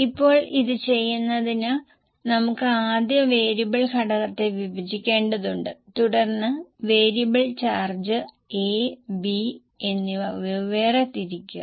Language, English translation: Malayalam, Now to do this you will have to first of all divide the variable component and then for variable charge it to A and B separately, for fixed charge it to A and B separately